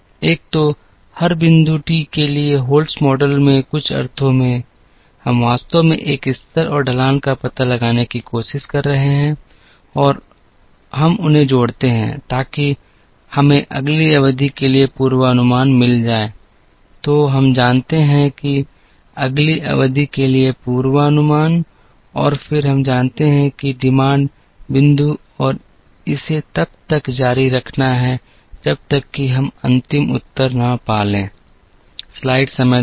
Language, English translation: Hindi, So, in some sense in the Holts’ model for every point t, we are actually trying to find out a level and a slope and we add them, so that we get the forecast for the next period then we know that forecast for the next period and then we know that demand point and keep iterating this till, we get to the final answer